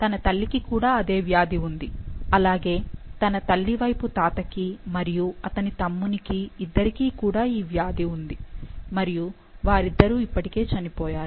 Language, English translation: Telugu, Her mother also has the disease, as did her maternal grandfather and his younger brother, both of whom are now dead